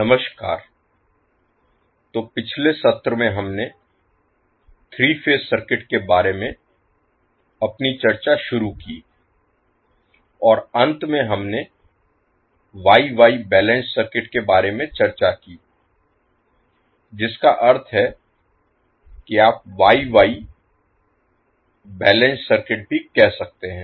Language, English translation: Hindi, Namaskar, so in last session we started our discussion about the 3 phase circuits and last we discussed about the star star balance circuit that means you can also say Wye Wye balance circuit